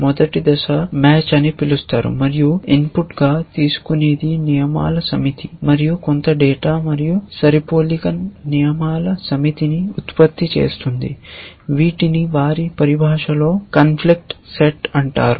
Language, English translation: Telugu, The first phase is called match, and what it takes as input is a set of rules and some data and produces a set of matching rules which in their terminology is called the conflict set